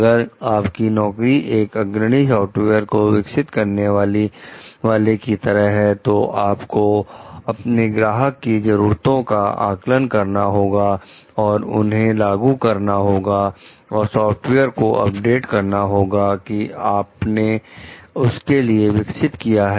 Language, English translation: Hindi, In your job as a lead software developer you work with clients to assess their specific means and implement patches and updates to the software that you have developed for them